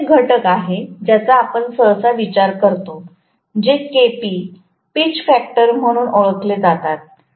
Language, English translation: Marathi, There is one more factor which we normally considered, which is known as Kp, pitch factor